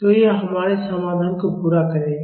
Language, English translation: Hindi, So, that will complete our solution